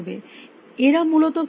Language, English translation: Bengali, How do they do it essentially